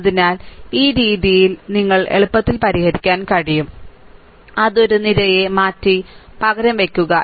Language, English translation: Malayalam, So, this way you can easily solve, it just replace one column just shift it, right